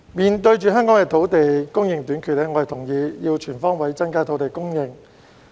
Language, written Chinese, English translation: Cantonese, 面對香港土地供應短缺，我同意要全方位增加土地供應。, In view of the shortage of land supply in Hong Kong I agree that land supply should be increased on all fronts